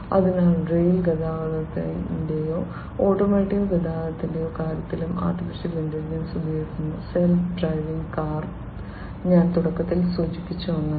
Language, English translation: Malayalam, So, in the case of rail transportation or automotive transportation, etcetera AI is also used, self driving car is something that I mentioned at the outset